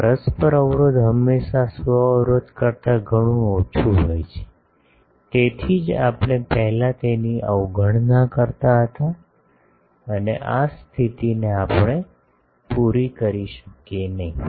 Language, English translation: Gujarati, Mutual impedance is always much much lower than self impedance, that is why we were earlier neglecting it and this condition we cannot meet